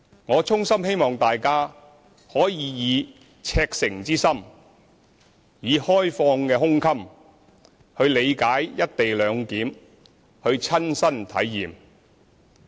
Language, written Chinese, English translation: Cantonese, 我衷心希望大家可以赤誠之心，以開放的胸襟去理解"一地兩檢"，去親身體驗。, I earnestly hope that Members will seek to understand and experience personally the co - location arrangement with sincerity and an open mind